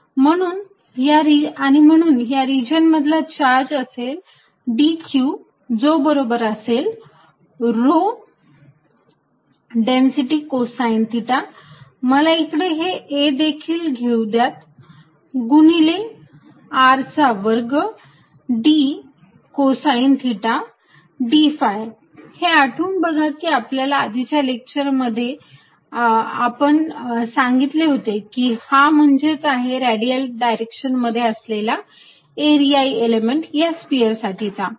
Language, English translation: Marathi, And therefore, the charge in this region d Q is going to be rho the density cosine of theta, let me bring a also here times R square d cosine theta d phi, recall from our one of our previous lectures this is nothing but the area element in the radial direction for this sphere